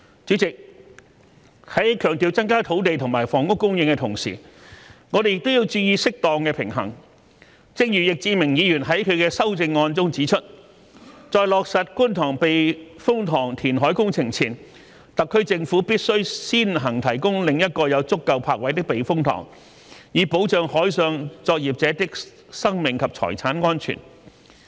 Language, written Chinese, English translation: Cantonese, 主席，在強調增加土地和房屋供應的同時，我們也要注意適當的平衡，正如易志明議員在其修正案中指出："在落實觀塘避風塘填海工程前，特區政府必須先行提供另一個有足夠泊位的避風塘，以保障海上作業者的生命及財產安全"。, President while placing emphasis on increasing land and housing supply we should also pay attention to striking a proper balance . As suggested by Mr Frankie YICK in his amendment before implementing the Kwun Tong Typhoon Shelter reclamation works the SAR Government must first provide another typhoon shelter with sufficient berthing spaces so as to safeguard the lives and properties of marine workers